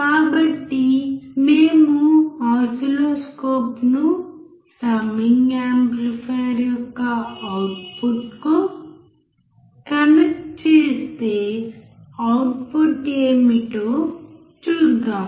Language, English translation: Telugu, So, if we connect the oscilloscope to the output of the summing amplifier let us see what the output is